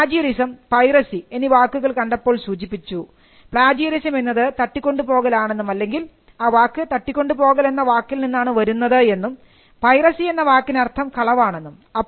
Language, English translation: Malayalam, Now, we saw that when plagiarism and piracy was mentioned it was the language used to refer to plagiarism was kidnapping, or the word had a meaning of kidnapping and piracy had the meaning of robbery